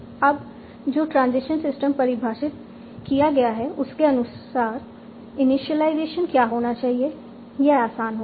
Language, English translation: Hindi, Now, as per the transition system that we have defined, what will be the initialization